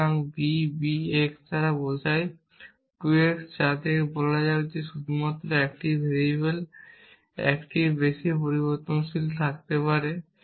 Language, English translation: Bengali, So, b b x implies 2 x which one let us say there is only 1 variable could have more than 1 variable essentially